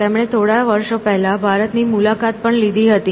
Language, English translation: Gujarati, He visited India few years ago as well